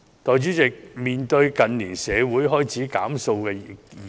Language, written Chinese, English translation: Cantonese, 代理主席，近年社會開始討論"減塑"的議題。, Deputy President the community has started talking about reducing plastic consumption in recent years